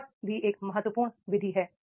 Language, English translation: Hindi, The SWAT is also a critical method